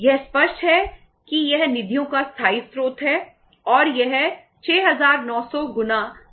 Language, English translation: Hindi, It is clear that is the permanent sources of the funds and that is 6900 multiplied by 0